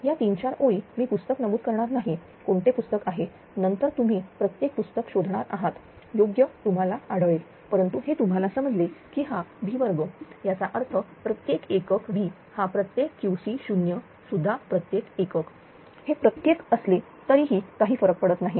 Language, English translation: Marathi, This is 3 4 lines I will not mention the book which book is there then you should find out every every textbook will find this right, but this thing you have to understand that it is V square; that means, per unit V is per unit Q c 0 also per unit it does not matter even if per unit or even kilowatt it does not matter this V is also this thing